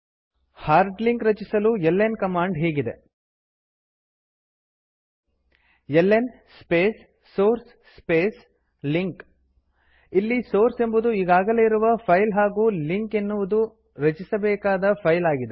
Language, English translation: Kannada, ln is the command to make link The syntax of ln command to create the hard link is ln space source space link Where, source is an existing file and link is the file to create